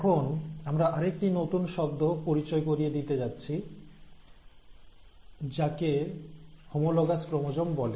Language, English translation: Bengali, Now what we are going to introduce today is one more term which is called as the homologous chromosome